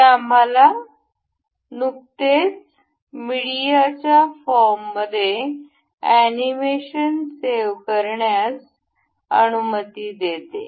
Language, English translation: Marathi, This allows us to save this animation that we just saw in a form of a media